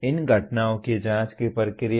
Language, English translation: Hindi, Process of investigating these phenomena